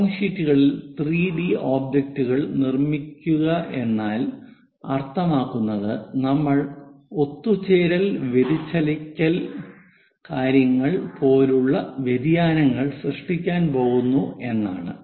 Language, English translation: Malayalam, Constructing 3 D objects on drawing sheets means we are going to induce aberrations like converging diverging kind of things